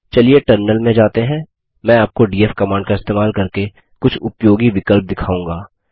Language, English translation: Hindi, Let us shift to the terminal, I shall show you a few useful options used with the df command